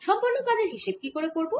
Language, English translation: Bengali, how do i calculate the work done